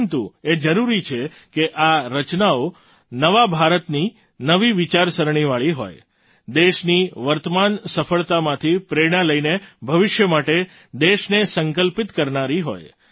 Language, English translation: Gujarati, But it is essential that these creations reflect the thought of new India; inspired by the current success of the country, it should be such that fuels the country's resolve for the future